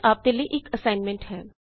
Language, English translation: Punjabi, Here is an assignment